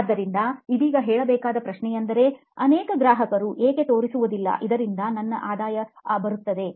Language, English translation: Kannada, So the question to ask right now would be, why don’t many customers show up, thus which will result in my high revenue